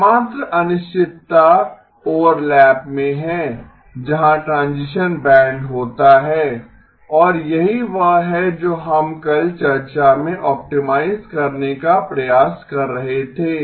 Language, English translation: Hindi, The only uncertainty is in the overlap where the transition band occurs and that is what we try to optimize in the discussion yesterday